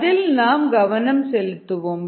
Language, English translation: Tamil, that's where we are going to focus on